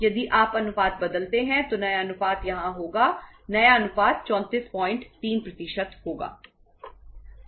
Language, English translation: Hindi, If you change the ratio, so the new ratio will be here if the new ratio will be 34